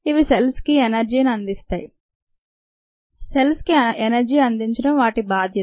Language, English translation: Telugu, they provides energy to the cell, it is necessary to provide energy to the cell, and so on